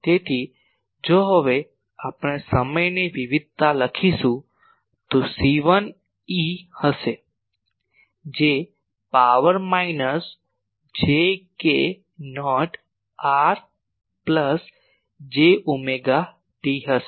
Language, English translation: Gujarati, So, if we now write the time variation then it will be c 1 e to the power minus j k not r plus j omega t